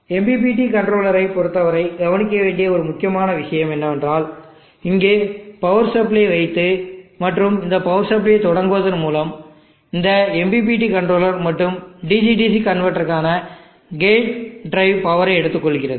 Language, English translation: Tamil, One important point to be noted with respect to the MPPT controller is that by putting this power supply and the start a power supply to power of this, there is some power which is consumed by these MPPT controller board and also the gate drive for the DC DC converters